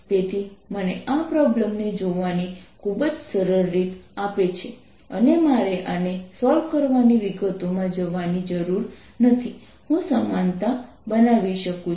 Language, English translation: Gujarati, so this gives me a very simple way of looking at this problem and i don't have to go into the details of solving this